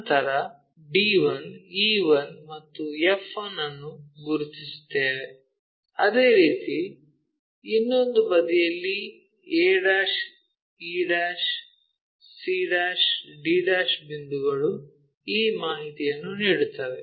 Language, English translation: Kannada, Similarly, c map to that point c map to that point d e 1 f 1, similarly on the other side a' e' c' d' points gives us this information